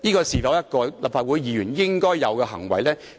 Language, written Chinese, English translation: Cantonese, 是否立法會議員應有的行為呢？, Should a Legislative Council Member conduct himself in such a way?